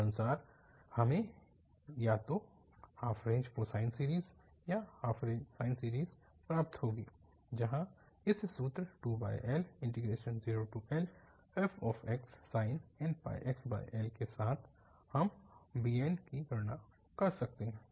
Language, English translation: Hindi, Accordingly, we will get either this half range cosine series or half range this sine series, where the bn we can compute with this formula 0 to L f x sine n pi x over L and this factor 2 over L